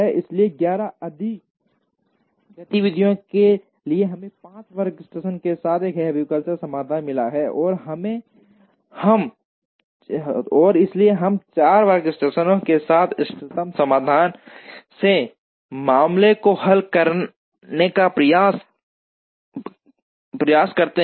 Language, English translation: Hindi, So, in for 11 activities we got a heuristic solution with 5 workstations, and therefore we try and solve the optimum solution case with 4 workstations